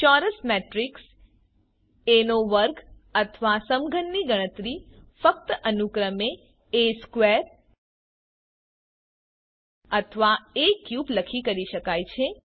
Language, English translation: Gujarati, Square or cube of a square matrix A can be calculated by simply typing A square or A cube respectively